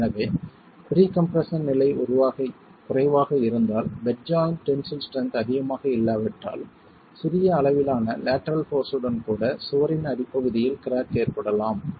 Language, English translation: Tamil, So, if the pre compression level is low then with even a small amount of lateral force if the bed joint tensile strength is not high you can have cracking at the base of the wall